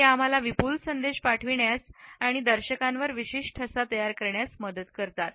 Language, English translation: Marathi, They help us to pass on certain messages in a profound manner and create a particular impression on the viewer